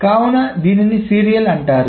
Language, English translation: Telugu, Why is it called a serial